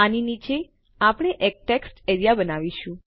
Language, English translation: Gujarati, Underneath this we will create a text area